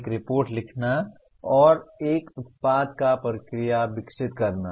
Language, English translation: Hindi, Writing a report and or developing a product or process